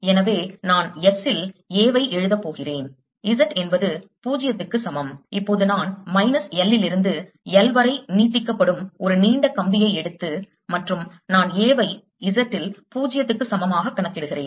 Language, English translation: Tamil, therefore, i am going to write a at s z equal to zero, because now i am taking a long wire extending from minus l to l and i am calculating a at z equal to zero